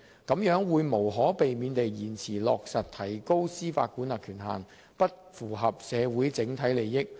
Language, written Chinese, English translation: Cantonese, 這樣會無可避免地延遲落實提高司法管轄權限，不符合社會整體利益。, This would inevitably delay the implementation of jurisdictional rise and would not be in the interests of the community as a whole